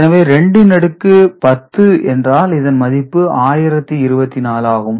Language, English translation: Tamil, So, when it is 2 to the power 8 ok, it is 256